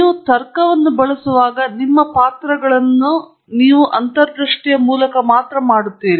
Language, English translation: Kannada, While you use logic, you make your leads only through intuition